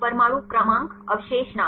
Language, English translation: Hindi, Atom number, residue name